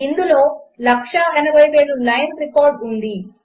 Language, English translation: Telugu, It has 180,000 lines of record